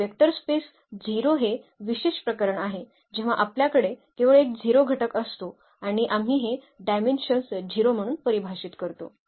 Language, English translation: Marathi, And the vector space 0 so, this is the special case when we have only one element that is 0 and we define this dimension as 0